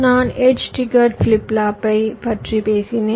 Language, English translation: Tamil, well, i talked about edge trigged flip flop